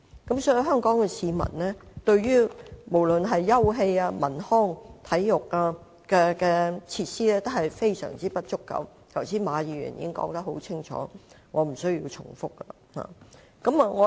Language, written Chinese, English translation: Cantonese, 所以對於香港市民而言，休憩、文康、體育設施用地的確十分不足，剛才馬議員已說得很清楚，我不用重複。, Therefore Hong Kong people do indeed face a serious shortage of sites for providing cultural recreational and sports facilities . Mr MA has already made this point very clear and I need not dwell any further on it